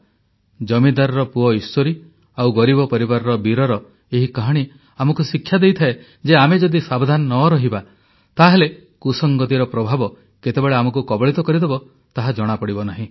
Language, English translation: Odia, The moral of this story featuring the landholder's son Eeshwari and Beer from a poor family is that if you are not careful enough, you will never know when the bane of bad company engulfs you